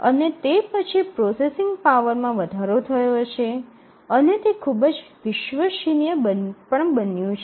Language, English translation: Gujarati, And then the processing power has tremendously increased and also these are become very very reliable